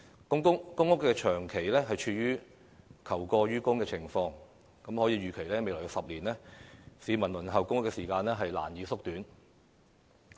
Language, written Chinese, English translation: Cantonese, 由於公屋長期處於求過於供的情況，可以預期未來10年市民輪候公屋的時間將難以縮短。, As the shortfall of PRH has persisted all along it is expected that the waiting time for PRH will hardly be shortened in the next decade